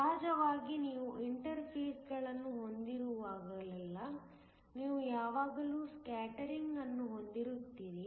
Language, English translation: Kannada, Of course, whenever you have interfaces you always have scattering